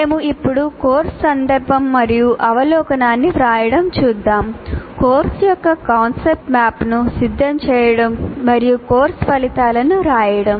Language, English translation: Telugu, And right now, we will look at the first three, namely writing the course context and overview, preparing the concept map of the course and writing course outcomes